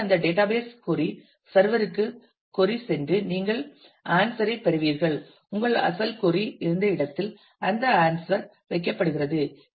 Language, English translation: Tamil, And so, that query goes to the database query server and you get the answer and that answer is placed where your original query was there